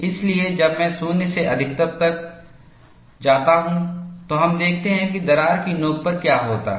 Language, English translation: Hindi, So, when I go to 0 to maximum, we would see what happens at the crack tip